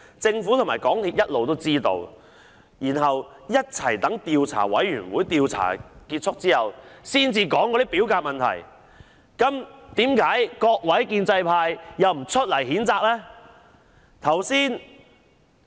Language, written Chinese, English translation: Cantonese, 政府和港鐵公司一直知悉事件，卻一起待調查委員會的調查結束後才說表格有問題，為何各位建制派又不譴責呢？, The Government and MTRCL had all along been in the know but they divulged information on the problem with the forms only after the Commission had completed its inquiry . So why did you in the pro - establishment camp not make any condemnation?